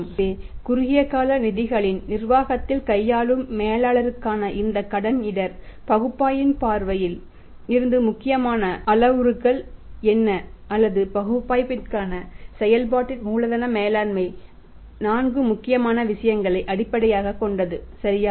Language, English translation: Tamil, So, what are the important parameters from the say point of view of analysis of this credit risk analysis for the managers who deal in the management of the short term funds or the working capital management right for the analysis is based upon the four important things right